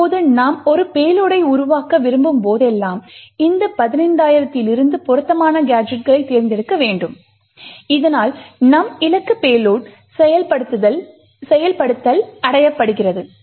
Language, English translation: Tamil, Now whenever we want to build a payload, we need to select appropriate gadgets from these 15000 so that our target payload execution is achieved